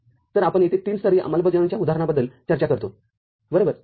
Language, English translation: Marathi, So, here we discuss an example of a three level implementation right